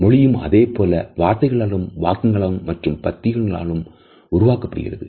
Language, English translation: Tamil, A language is made up of words, sentences and paragraphs